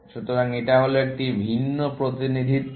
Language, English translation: Bengali, So, this is the different representation